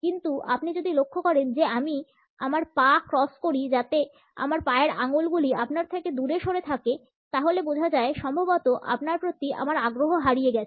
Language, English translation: Bengali, But if you notice that I cross my legs so that my top toe is pointed away from you; then you have probably lost my interest